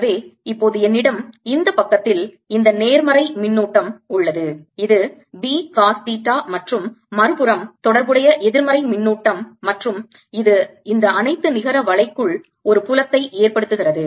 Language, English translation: Tamil, so now i have this positive charge on this side, which is p cos theta, and corresponding negative charge on the other side, and this gives rise to a field inside this all net